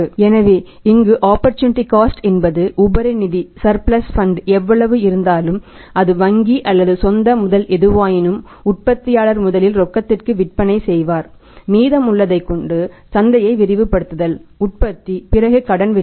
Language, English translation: Tamil, So, here opportunity cost that whatever the surplus funds maybe from the bank or form is owned resources the manufacturer has first he would sell on cash after that he would think that remaining to expand my market the remaining production can go to the market on credit